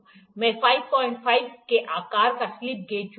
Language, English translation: Hindi, I will pick slip gauge of size 5